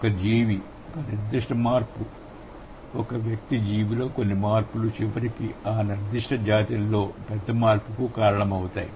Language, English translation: Telugu, So, one particular change in some organism, an individual, some change is an individual organism eventually results in a bigger change in that particular species, right